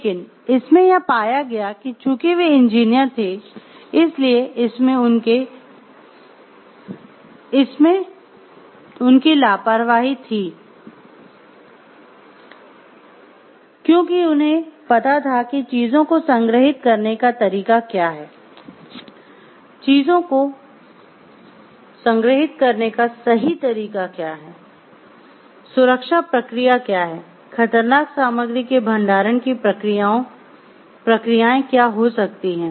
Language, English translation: Hindi, But it was found it was their act of negligence by following the usual practice because, they being engineers they knew like what it is the way of storing things what is the correct way of storing things what is the safety process to be followed and what could be like the processes of hazardous storing of materials